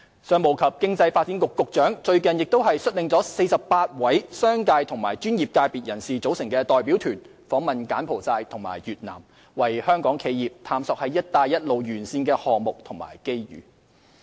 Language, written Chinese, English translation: Cantonese, 商務及經濟發展局局長最近亦率領了一個由48位商界和專業界別人士組成的代表團訪問柬埔寨和越南，為香港企業探索"一帶一路"沿線的項目和機遇。, Recently the Secretary for Commerce and Economic Development led a delegation of 48 members from the business and professional sectors to visit Cambodia and Vietnam exploring projects and opportunities along the Belt and Road for Hong Kong enterprises